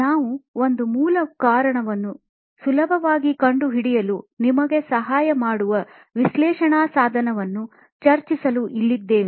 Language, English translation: Kannada, We're here to discuss an analysis tool that will help you figure out a root cause quite easily